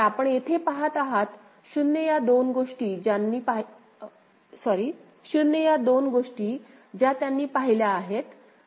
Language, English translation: Marathi, So, that is what you see over here for 0 these are the two things that they have visited